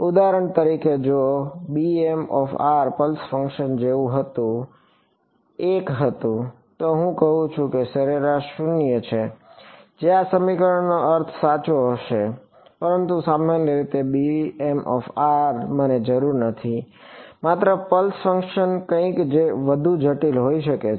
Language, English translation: Gujarati, For example, if b m of r was 1 like a pulse function, then I am I saying the average residual is 0 that would be the meaning of this equation right, but in general b m of r need not me just a pulse function can be something more complicated